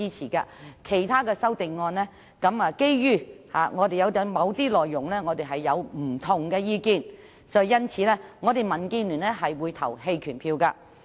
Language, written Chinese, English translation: Cantonese, 至於其他修正案，基於我們對某些內容持不同意見，因此我們民建聯會投棄權票。, As regards the other amendments since we hold a different view on some of their contents we in DAB will abstain